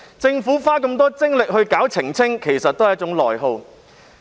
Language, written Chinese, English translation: Cantonese, 政府花這麼多精力進行澄清，其實是一種內耗。, The considerable effort made by the Government to make clarification has in effect gobbled up its internal resources